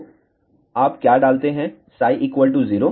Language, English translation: Hindi, 8 and if this is 0